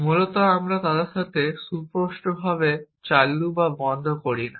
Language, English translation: Bengali, Essentially, we are not deal with them explicitly on and off